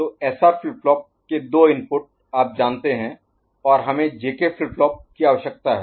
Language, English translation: Hindi, So, given a SR flip flop two you know two input and we require a JK flip flop